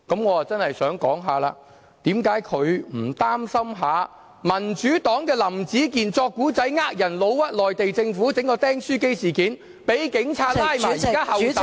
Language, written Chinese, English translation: Cantonese, 我真的想說，為何他不擔心民主黨林子健編故事欺騙人，誣衊內地政府，搞出"釘書機事件"，被警察拘捕，現在候審......, What I really want to say is Why is he not worried about Howard LAM of the Democratic Party who made up a story to deceive the public and falsely accused the Mainland Government with the staples incident in which he actually punched metal staples into his thighs? . He was later arrested by the Police and is now awaiting trial